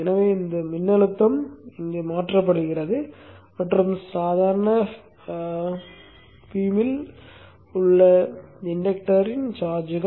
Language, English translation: Tamil, So this voltage gets transferred here and charges up the inductor in the normal way